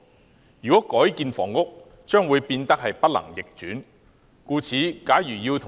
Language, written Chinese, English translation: Cantonese, 這些用地改建為房屋後將會不能逆轉。, Conversion of such sites into housing is irreversible